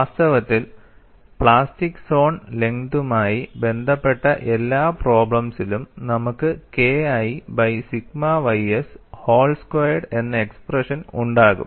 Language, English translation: Malayalam, In fact, in all problems dealing with plastic zone length you will have an expression K 1 by sigma ys whole square